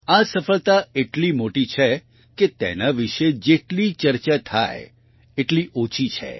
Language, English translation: Gujarati, This success is so grand that any amount of discussion about it would be inadequate